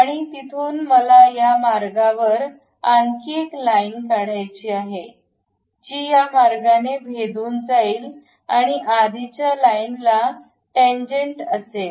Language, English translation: Marathi, And from there I would like to construct one more line passing through that and tangent to this line